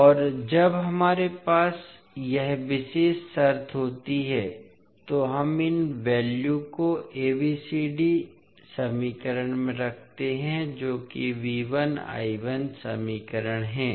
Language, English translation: Hindi, And when we have this particular condition we put these values in the ABCD equation that is V 1 I 1 equations